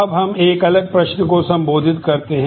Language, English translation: Hindi, Now, let us address a different question